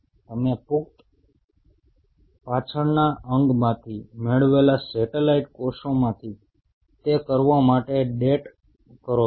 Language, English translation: Gujarati, All you date for do it from satellite cells obtained from adult hind limb